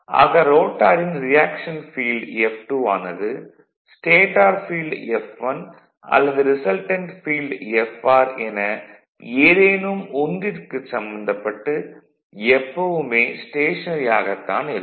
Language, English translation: Tamil, So; that means, the your reaction field is F2 we have drawn right in the diagram of the rotor is always stationery with respect to the stator field F1 or the resultant field Fr right so all these things are remain stationary